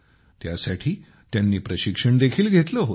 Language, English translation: Marathi, They had also taken training for this